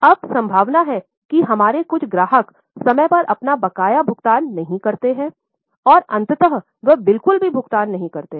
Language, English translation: Hindi, Now, there is a likelihood that few of our customers don't pay their dues on time and eventually they don't pay at all